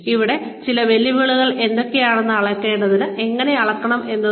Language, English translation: Malayalam, Some challenges here are, what to measure and how to measure